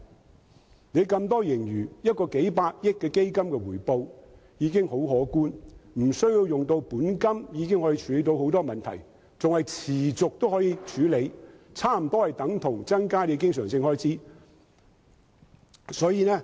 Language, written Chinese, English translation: Cantonese, 政府有那麼多盈餘，僅成立一個數百億元的基金，其回報已很可觀，無須利用本金已能處理很多問題，更能持續運作，差不多等同增加政府的經常收入。, The establishment of a single fund of several billion dollars can already generate a handsome return . Without drawing down the principal it can readily deal with a lot of issues and operate continuously . It is almost like increasing the Governments recurrent revenue